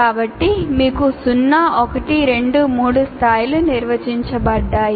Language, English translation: Telugu, So, you have 1, 2, 3 levels defined like this